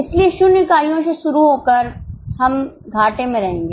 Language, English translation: Hindi, So, starting from zero units we will be in losses